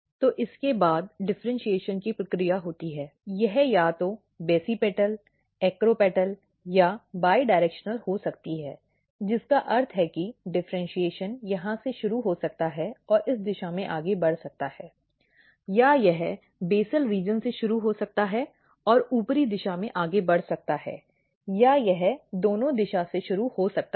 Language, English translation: Hindi, So, after this there is a process of differentiation, it can be either basipetal, acropetal or bidirectional which means that differentiation can start from here and proceed in this direction or it can start from the basal region and proceeds in the upper direction or it can starts from the both direction